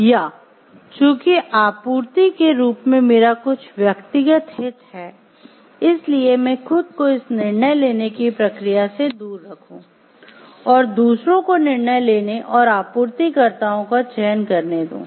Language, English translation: Hindi, Or because I do have some personal interest as a supplying that I should keep myself away from this decision making process, and let others decide and choose the suppliers